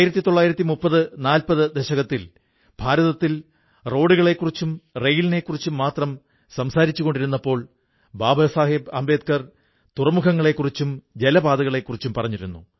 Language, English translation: Malayalam, In the 30s and 40s when only roads and railways were being talked about in India, Baba Saheb Ambedkar mentioned about ports and waterways